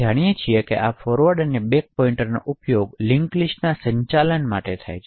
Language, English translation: Gujarati, So, as we know this forward and back pointer is used for managing the linked list